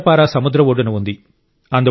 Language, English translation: Telugu, Kendrapara is on the sea coast